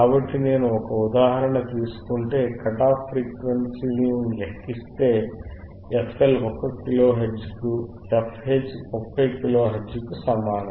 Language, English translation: Telugu, So, if I take an example, if I take an example, the calculatored cut off frequencyies wasere found to be f L equals to f L equals to 1 kilohertz, f H equals to 30 kilo hertz,